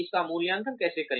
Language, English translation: Hindi, How will we evaluate this